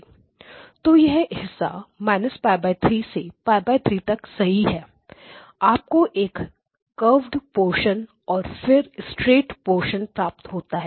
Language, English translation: Hindi, So this portion is correct so from minus pi divided by 3 to pi divided by 3 you get a curved portion and then you get a straight portion